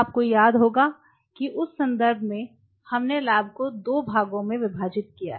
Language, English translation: Hindi, So, in that context if you recollect we divided the lab into 2 parts right